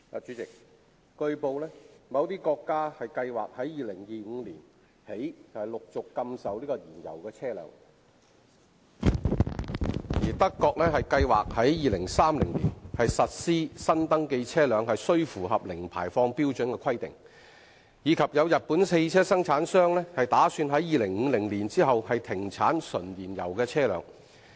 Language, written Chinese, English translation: Cantonese, 主席，據報，某些國家計劃由2025年起陸續禁售燃油車輛、德國計劃在2030年實施新登記車輛須符合零排放標準的規定，以及有日本汽車生產商打算在2050年起停產純燃油車輛。, President it has been reported that certain countries plan to prohibit the sale of fuel - engined vehicles progressively from 2025 onwards; Germany plans to implement in 2030 a requirement that newly - registered vehicles must meet the zero emission standard; and a Japanese vehicle manufacturer plans to cease from 2050 onwards the production of vehicles which run entirely on fuel